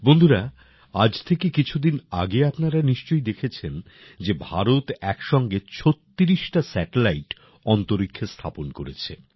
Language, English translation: Bengali, Friends, you must have seen a few days ago, that India has placed 36 satellites in space simultaneously